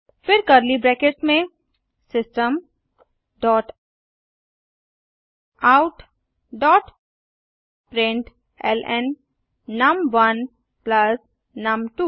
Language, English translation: Hindi, Then within curly brackets System dot out dot println num1 plus num2